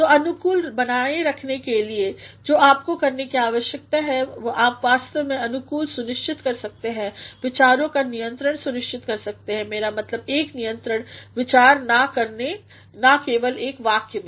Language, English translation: Hindi, So, in order to maintain coherence, what you need to do is, you actually can ensure coherence by ensuring controlling ideas; I mean, single controlling ideas not only in a sentence